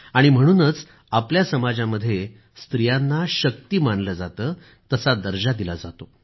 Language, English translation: Marathi, And that is why, in our society, women have been accorded the status of 'Shakti'